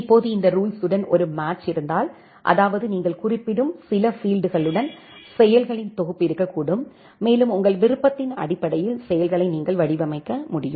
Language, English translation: Tamil, Now if there is a match with this rule; that means, with certain fields that, you are specifying then, there can be a set of actions and the actions can be designed by you based on your choice